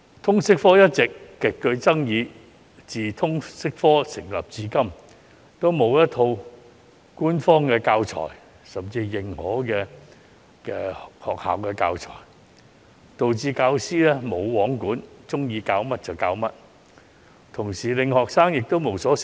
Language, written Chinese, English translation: Cantonese, 通識科一直極具爭議，由推行至今都沒有一套官方教材，甚至沒有認可的學校教材，導致教師"無皇管"，喜歡教甚麼便教甚麼，亦令學生無所適從。, The subject of LS has all along been an extremely controversial subject and there have been no official or even recognized teaching materials since its introduction . As a result teachers are totally unregulated and can teach whatever they like leaving students at a loss